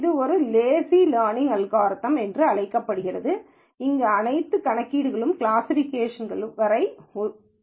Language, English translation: Tamil, It is also called a lazy learning algorithm, where all the computation is deferred until classification